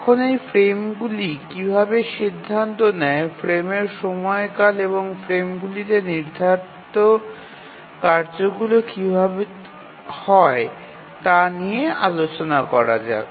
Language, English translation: Bengali, Now let's proceed looking at how are these frames decided frame duration and how are tasks assigned to the frames